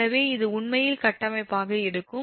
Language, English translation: Tamil, so this will be actually structure